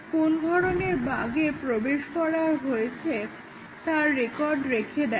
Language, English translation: Bengali, He has recorded what type of bugs he has introduced